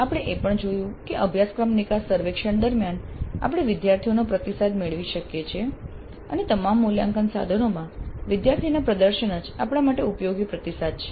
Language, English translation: Gujarati, We also saw that during the course exit survey we can get student feedback and student performance in all assessment instruments itself constitutes useful feedback for us